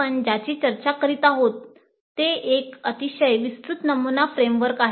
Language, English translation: Marathi, So what we are discussing is a very broad sample framework